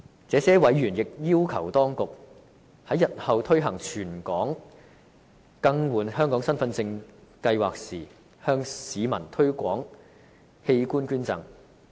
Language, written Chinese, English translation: Cantonese, 這些委員亦要求當局，在日後推行全港更換香港身份證計劃時，向市民推廣器官捐贈。, These members also request that the authorities promote organ donation when the territory - wide Hong Kong Identity Card replacement exercise commences in the future